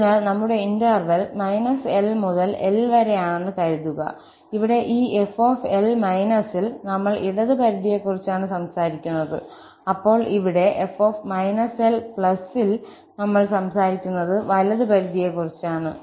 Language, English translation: Malayalam, So, suppose our interval was minus L to L, here, at this f, we are talking about the left limit and then here, at f, we are talking about the right limit